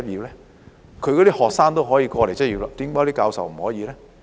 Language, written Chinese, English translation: Cantonese, 這些大學的學生可以來港執業，為何教授不可以呢？, If graduates of these medical schools can come to practise in Hong Kong how come their professors cannot do so?